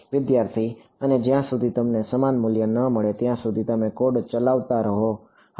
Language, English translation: Gujarati, And you keep running the code until you get a similar values